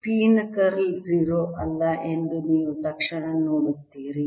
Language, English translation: Kannada, you will immediately see that curl of p is not zero